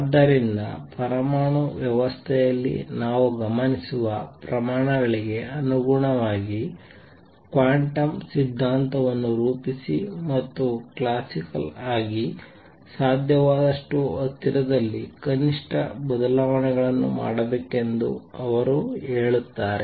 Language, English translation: Kannada, So, he says formulate quantum theory in terms of quantities that we observe in an atomic system, and remain as close to the classical as possible make minimum changes